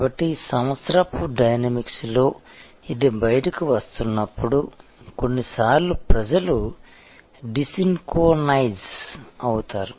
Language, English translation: Telugu, So, in the dynamics of the year as it rolls out, sometimes people are desynchronized